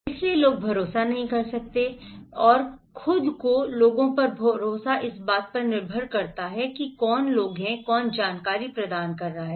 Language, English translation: Hindi, So, people cannot trust, so by own people trust depends on who are the, who is providing the information